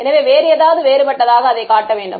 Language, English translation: Tamil, So, it should show up as something different